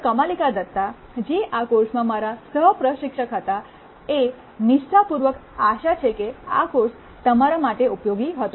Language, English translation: Gujarati, Kamalika Datta who was my co instructor in this course, sincerely hope that the course was useful to you